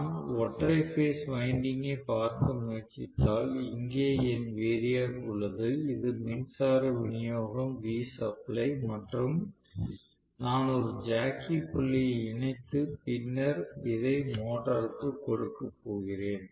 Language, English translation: Tamil, So, I am going to have actually, if I try to look at just one single phase winding, here is my variac, this is the power supply right, so this is V supply and what I am doing is to connect a jockey point and then I am going to have this applied to the motor right